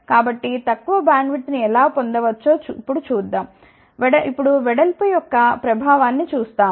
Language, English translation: Telugu, So, let us see how we can get smaller bandwidth we will see the effect of the width now